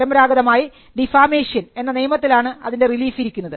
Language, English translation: Malayalam, Traditionally, the relief would lie in the law of defamation